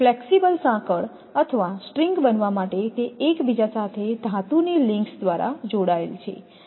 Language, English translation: Gujarati, They all are connected with a metal link right with each other for a flexible chain it becomes a flexible chain or string right